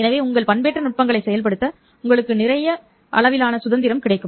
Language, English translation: Tamil, So you get lot of degrees of freedom to your modulation techniques